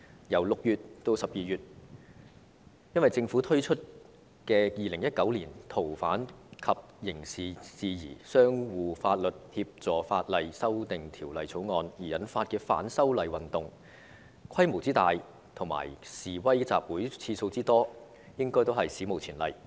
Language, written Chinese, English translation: Cantonese, 在6月至12月期間，因為政府推出《2019年逃犯及刑事事宜相互法律協助法例條例草案》而引發的反修例運動，規模之大和示威集會次數之多，應屬史無前例。, In the period from June to December the movement of opposition to the proposed legislative amendments triggered by the Governments introduction of the Fugitive Offenders and Mutual Legal Assistance in Criminal Matters Legislation Amendment Bill 2019 the Bill should be considered unprecedented in scale in the number of demonstrations and in the number of protest assemblies